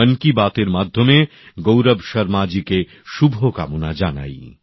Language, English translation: Bengali, Through the medium of Mann Ki Baat, I extend best wishes to Gaurav Sharma ji